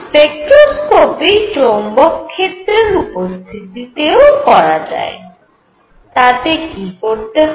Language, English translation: Bengali, One could also do spectroscopy in presence of magnetic field what would that do